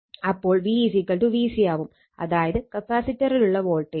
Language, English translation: Malayalam, So, v will be v is equal to VC right that voltage across the capacitor